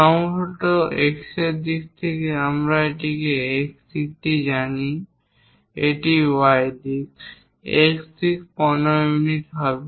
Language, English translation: Bengali, Perhaps in the X direction, here we know X direction it is the Y direction; in the X direction 15 units